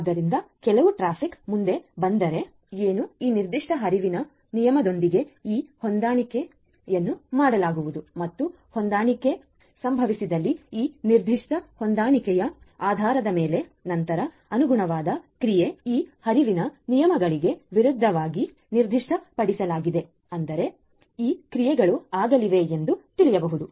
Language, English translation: Kannada, So, if certain traffic comes next so, what is going to happen is this matching is going to be done with this particular flow rule and based on this particular matching if the matching happens, then the corresponding action that is specified against these flow rules are going to be; are going to be taken so, these actions are going to be taken